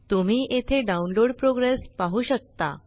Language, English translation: Marathi, You can see here the download progress